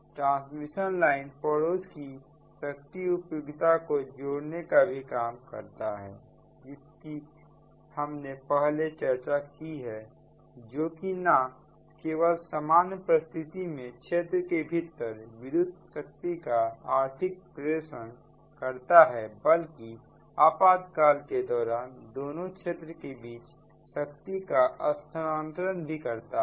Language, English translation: Hindi, right, so transmission line also interconnect neighboring power utilities just we have discussed before right, which allows not only economic dispatch of electrical power within regions during normal conditions, but also transfer of power between regions during emergencies, right